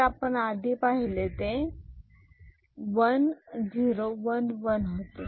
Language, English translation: Marathi, So, this was 1 0 1 1